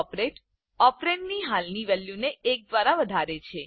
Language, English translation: Gujarati, The operator decreases the existing value of the operand by one